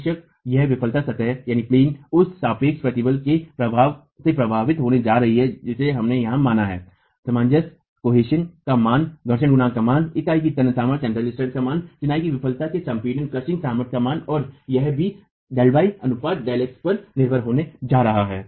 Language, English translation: Hindi, Of course, this failure plane is going to be affected by the relative strengths that we have considered here, the value of cohesion, the value of friction coefficient, the value of tensile strength of the unit, the value of failure crushing strength of masonry and it is also going to be dependent on the ratio delta x by delta y